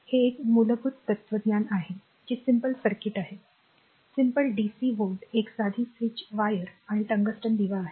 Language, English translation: Marathi, So, this is a basic philosophy you have your what you call that is simple circuit is simple dc volt a simple switch wires and your tungsten lamp